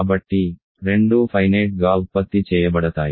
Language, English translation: Telugu, So, both are finitely generated